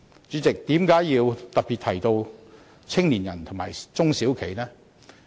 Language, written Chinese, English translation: Cantonese, 主席，為甚麼要特別提到年青人和中小企呢？, President why do I specifically mention young people and SMEs?